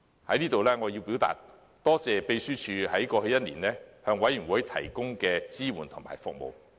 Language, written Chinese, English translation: Cantonese, 我要在此感謝秘書處在過去一年向事務委員會提供的支援和服務。, I would like to express my gratitude to colleagues of the Secretariat for their support and service during the past year